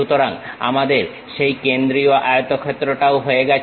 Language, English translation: Bengali, So, we are done with that center rectangle also